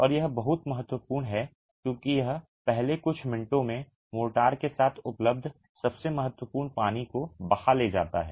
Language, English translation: Hindi, And this is very important because it's in the first few minutes that the most most important water that is available with the motor is taken away